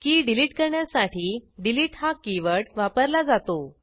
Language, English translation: Marathi, delete keyword is used to delete the key